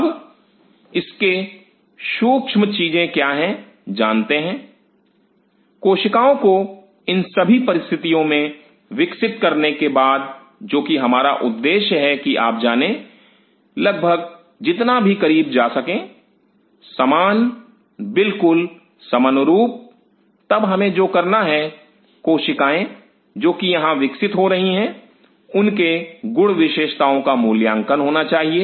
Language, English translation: Hindi, Now, what is critical for it know is after growing the cells in all these conditions which is we are our goal is to you know come as close as possible almost; similar almost congruent then what we have to do the cells which are growing here their properties have to be evaluated